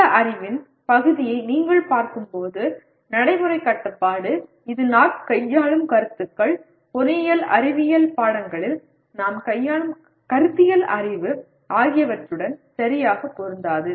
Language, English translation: Tamil, When you look at this piece of knowledge, practical constraint, it does not nicely fit with the kind of concepts that we deal with, conceptual knowledge we deal with in engineering science subjects